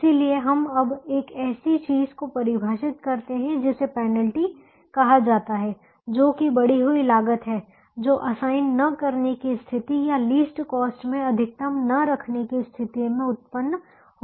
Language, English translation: Hindi, so we now define something called a penalty, which is the increased cost that we would incur by not assigning, or if we are not able to, the maximum in the least cost